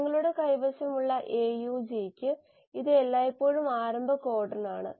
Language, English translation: Malayalam, And for the AUG you have, this is always the start codon